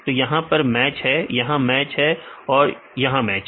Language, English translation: Hindi, So, this is the match, here is the match, here is the match